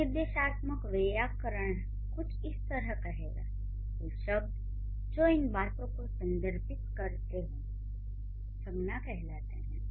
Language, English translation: Hindi, So, a prescriptive grammarian is going to say the words which refer to these things would be called as nouns